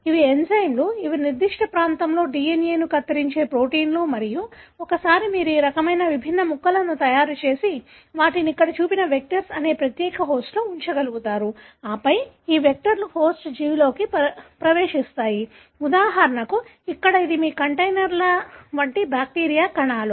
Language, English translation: Telugu, These are enzymes, which are proteins which cut the DNA at specified region and once you made these kinds of different pieces and you will be able to put them in specialized host called vectors that are shown here and then, these vectors get into a host organism; for example, here it is bacterial cells, which are like your containers